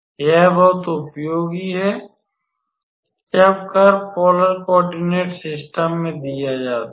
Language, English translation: Hindi, This is very useful when a curve is given in the polar coordinate system